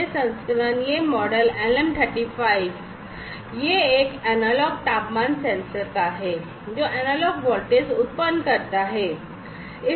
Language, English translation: Hindi, This variant, this model, LM 35 is it a is an analog temperature sensor, that generates analog voltage